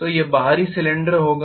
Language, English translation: Hindi, So it will be the external cylinder